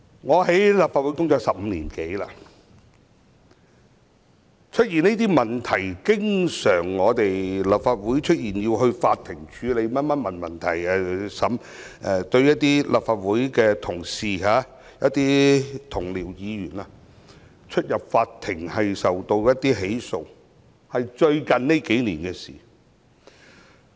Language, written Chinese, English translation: Cantonese, 我在立法會工作已經超過15年，但立法會經常出現這些問題，要由法院處理及審理；立法會的同事、議員要出入法院，受到起訴，是最近數年的事。, I have been in office of this Council for over 15 years . Yet it was only over the last few years that these kinds of problems that needed to be dealt with and tried by the Court where colleagues and Members of this Council found themselves making appearances or being the subject of prosecution have occurred in this Council on a regular basis